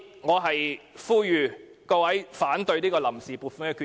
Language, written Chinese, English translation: Cantonese, 我呼籲各位反對這項臨時撥款決議案。, I call on Members to oppose the Vote on Account Resolution